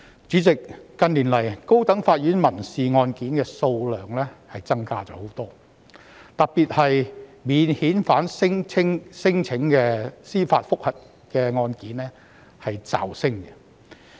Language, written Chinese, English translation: Cantonese, 主席，近年來，高等法院民事案件的數量增加了很多，特別是免遣返聲請的司法覆核案件驟升。, President the High Court has seen a tremendous increase in civil caseloads in recent years . In particular the number of judicial review cases stemming from non - refoulement claims has been soaring